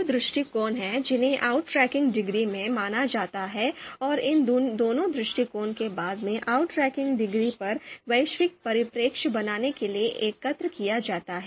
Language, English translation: Hindi, So there are two perspectives which are considered in outranking you know degree and both these perspective are later you know they are aggregated to create a you know you know global perspective on the outranking degree